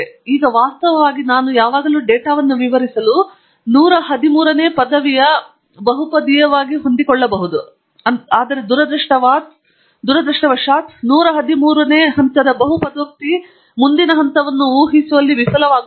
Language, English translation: Kannada, Now, of course, I can always fit a polynomial of 113th degree to explain the data perfectly, but unfortunately the 113th degree polynomial will fail miserably in predicting the next point